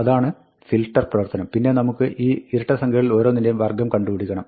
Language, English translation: Malayalam, That is a filter operation; and then, for each of these even numbers, we want to square them